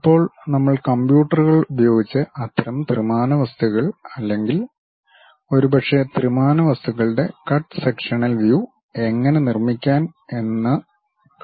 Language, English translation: Malayalam, Now, onwards we will try to use computers, how to construct such kind of three dimensional objects or perhaps the cut sectional views of three dimensional objects